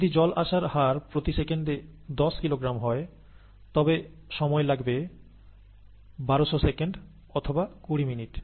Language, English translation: Bengali, If the input rate happens to be ten kilogram per second, the time taken would be thousand two hundred seconds, or twenty minutes